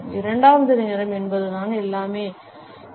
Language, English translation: Tamil, The second is that timing is everything